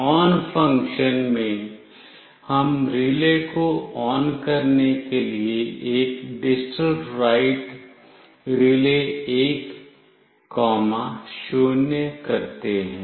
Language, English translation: Hindi, In the ON function, we do a digitalWrite (RELAY1,0) to turn the relay ON